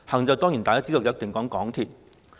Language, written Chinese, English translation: Cantonese, 眾所周知，"行"一定是指港鐵。, As we all know transport definitely has to do with MTR